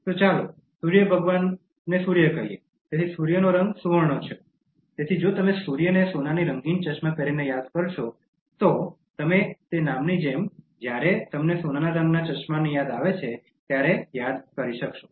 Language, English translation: Gujarati, So, let us say Surya of Sun God, so the color of Sun is gold, so if you remember Surya wearing a gold tinted spectacles, so you will be able to remember the name as and when you remember gold tinted spectacles